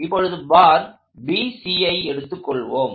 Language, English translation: Tamil, So, let us continue on to bar BC